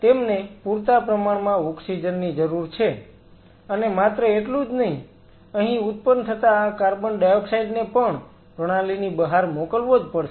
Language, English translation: Gujarati, They need sufficient oxygen and not only that this carbon dioxide which is produced here has to be sent outside the system